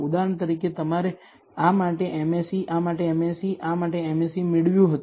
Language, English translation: Gujarati, for example, you would have got a MSE for this, MSE for this, MSE for this